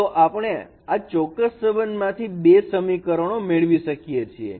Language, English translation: Gujarati, So we get these two equations from this particular relationships